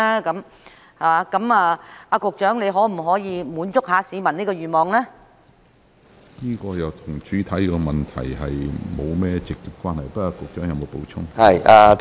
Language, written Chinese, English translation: Cantonese, 局長，你可否滿足市民這個願望呢？, Secretary can you satisfy this desire of the public?